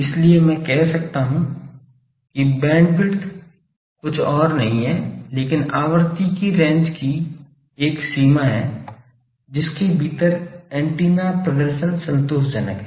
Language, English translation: Hindi, So, I can say bandwidth is nothing but a range of frequency range of frequency within which the antenna performance is satisfactory